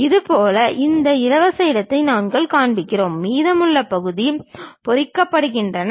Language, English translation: Tamil, Similarly, this free space we show it; the remaining portions are hatched